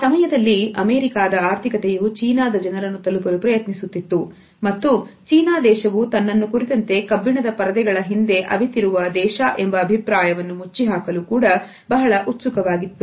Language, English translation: Kannada, It was perhaps around this time that the US economy was trying to reach the Chinese people and China also was eager to shut this image of being a country behind in iron curtain